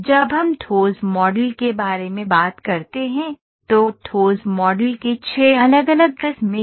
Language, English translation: Hindi, When we talk about solid models, there are 6 different varieties of solid models